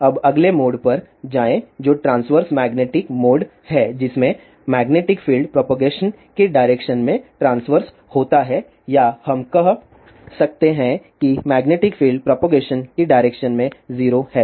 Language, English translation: Hindi, Now, move on to the next mode which is transverse magnetic mode in which the magnetic field is transferred to the direction of propagation or we can say magnetic field is 0 in the direction of propagation